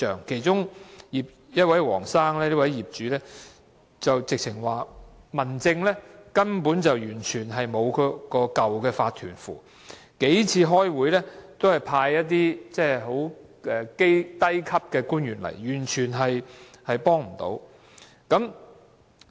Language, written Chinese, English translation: Cantonese, 其中一位姓黃的業主，直指民政事務處根本無法對付原有法團，數次開會也只是派一些初級官員出席，完全幫不上忙。, One of the owners Mr WONG pointed out directly that DO has utterly no ways to deal with the previous OC for in the several meetings held DO had only appointed junior officials to attend the meetings and they failed to offer any assistance